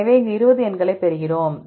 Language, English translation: Tamil, So, we get 20 numbers here